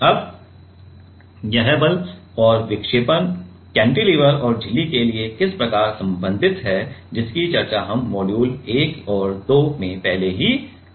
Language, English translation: Hindi, Now, how this force and deflection are related for cantilever or for membrane that we have already discussed in the module 1 and 2